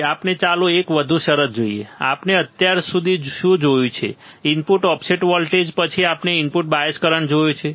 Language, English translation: Gujarati, Now, let us see one more term; what we have seen until now, input offset voltage, then we have seen input bias current